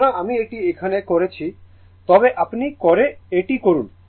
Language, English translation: Bengali, So, I am not doing it here, but please do it